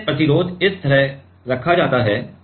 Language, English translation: Hindi, So, that is why the resistances are put like this